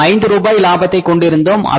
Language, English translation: Tamil, We were earning the profit of 5 rupees